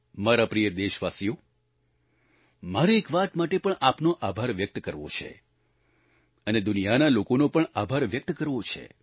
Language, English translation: Gujarati, My dear countrymen, I must express my gratitude to you and to the people of the world for one more thing